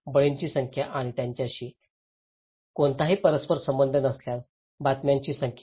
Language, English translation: Marathi, Number of victims and volume of news that they have no correlations